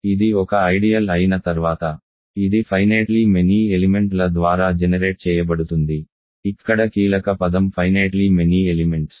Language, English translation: Telugu, Once it is an ideal, it is generated by finitely many elements, the key word here is finitely many elements